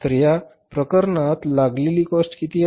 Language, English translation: Marathi, So factory cost incurred in this case is how much